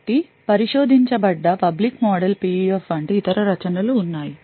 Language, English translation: Telugu, So, there are being other works such as the public model PUF which has been researched